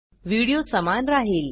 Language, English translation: Marathi, Video remains the same